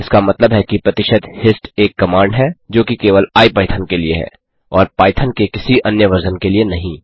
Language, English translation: Hindi, This implies that percentage hist is a command that is specific to IPython only and not to any other version of python